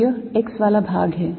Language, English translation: Hindi, so this is the x part